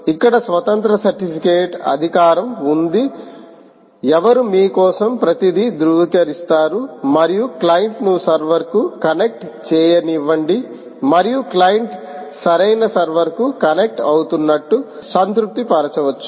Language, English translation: Telugu, here there is an independent certificate authority who will verify everything for you and actually let the client connect to the server, and the client can satisfy itself that it is connecting to the right server